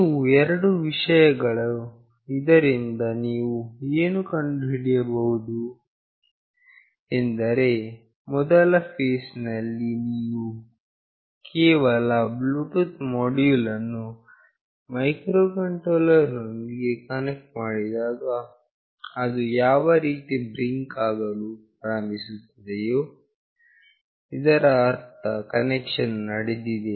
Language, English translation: Kannada, These are the two things from which you can find out that in the first phase when you just connect the Bluetooth module with microcontroller, when it starts blinking that mean the connection is built